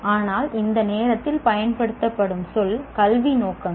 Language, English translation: Tamil, The word used at that time is educational objectives